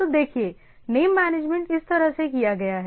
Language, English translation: Hindi, So, see the manageability of the name has been done in this way